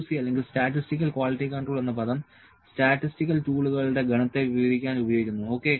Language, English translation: Malayalam, C or Statistical Quality Control is a term used to describe the set of statistical tools, ok